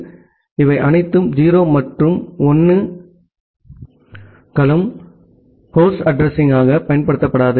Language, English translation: Tamil, So, this all 0’s and all 1’s are not used as a host address